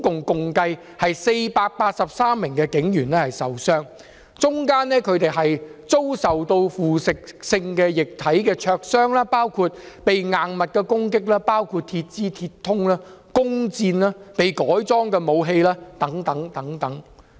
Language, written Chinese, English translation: Cantonese, 共有483名警員受傷，當中有警員被腐蝕性液體灼傷或被攻擊，包括硬物、鐵枝、鐵通、弓箭及被改裝的武器等。, A total of 483 police officers were injured including police officers being burnt by corrosive liquid or injured by hard objects including metal poles metal rods bows and arrows as well as modified weapons